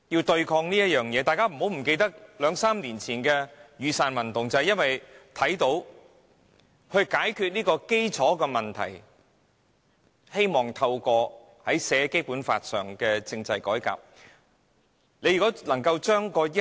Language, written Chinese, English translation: Cantonese, 大家不要忘記，約3年前的雨傘運動便是因為他們看到問題的核心，希望透過《基本法》列明的政制改革加以解決。, Let us not forget that around three years ago it was the peoples awareness of the core problems and their attempt to solve them by way of the constitutional reform enshrined in the Basic Law that triggered the Umbrella Movement